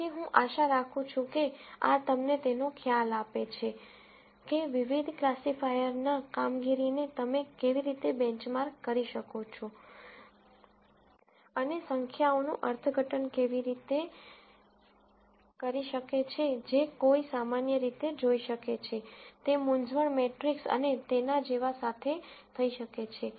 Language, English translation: Gujarati, So, I hope, this gives you an idea of, how you can benchmark the performance of various classifiers and how to interpret numbers that one would typically see with, with the confusion matrix and so on